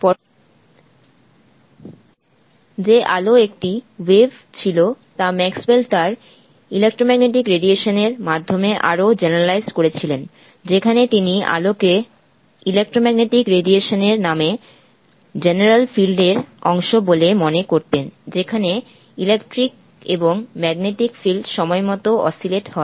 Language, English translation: Bengali, Later the fact that light was a wave was further generalized by Maxwell through his theory for electromagnetic radiation, and which he considered light to be part of the general field call the electromagnetic radiation in which electric and magnetic fields oscillate in time